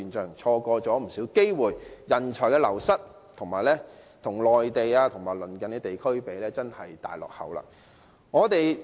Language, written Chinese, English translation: Cantonese, 由於錯過了不少機會，加上人才流失，本港與內地及鄰近地區相比，實在是大落後。, With the loss of many opportunities coupled with brain drain Hong Kong has in fact been lagging way behind the Mainland and neighbouring regions